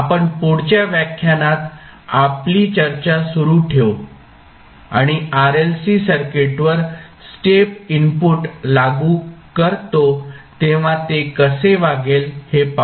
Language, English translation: Marathi, We will continue our discussion in the next lecture and we will see when we apply step input to the RLC circuit how it will behave